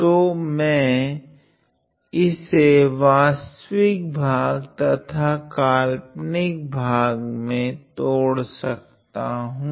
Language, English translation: Hindi, So, I can break it down into the real part and the imaginary part